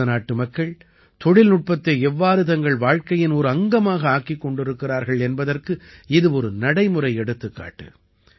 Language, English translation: Tamil, This is a living example of how the people of India have made technology a part of their lives